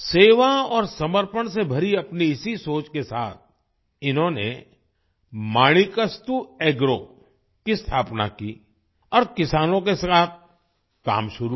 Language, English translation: Hindi, With this thinking full of service and dedication, they established Manikastu Agro and started working with the farmers